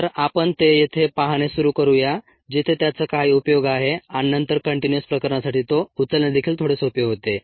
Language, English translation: Marathi, so let us start looking at at here where it has some application and then picking it up for the continuous case becomes a little easier